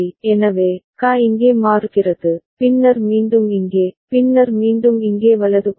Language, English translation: Tamil, So, the QA is changing over here, and then again over here, and then again over here right